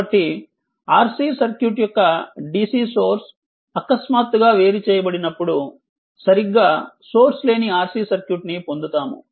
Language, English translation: Telugu, So, when dc source of a R C circuit is suddenly disconnected, a source free R C circuit occurs right